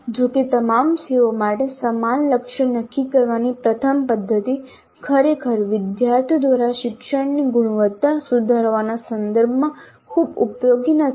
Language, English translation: Gujarati, However the first method of setting the same target for the all COs really is not much of much use in terms of improving the quality of learning by the students